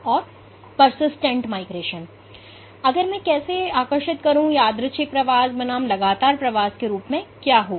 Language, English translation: Hindi, So, how if I were to draw, what would constitute as random migration versus persistent migration